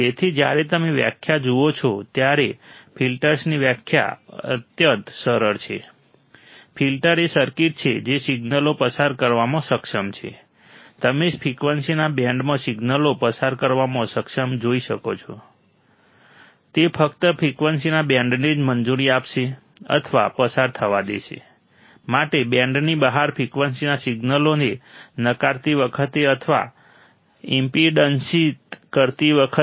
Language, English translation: Gujarati, So, when you see the definition, the definition of filter is extremely simple, filters are circuit that are capable of passing signals, you can see capable of passing signals within a band of frequency, it will only allow the band of frequencies or to pass while rejecting or blocking the signals of frequencies outside the band